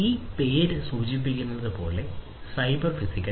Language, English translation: Malayalam, So, as this name suggests cyber physical